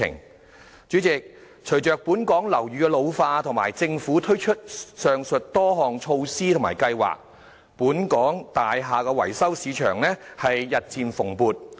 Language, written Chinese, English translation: Cantonese, 代理主席，隨着本港樓宇老化及政府推出上述多項措施及計劃，本港大廈維修市場日漸蓬勃。, Deputy President as the age of buildings in Hong Kong increases and with the many aforesaid measures and schemes introduced by the Government the market of building maintenance services is thriving in Hong Kong